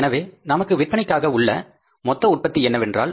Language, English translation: Tamil, So, what is the total production available with us now for sales